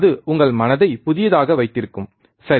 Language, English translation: Tamil, That will keep your mind a fresh, right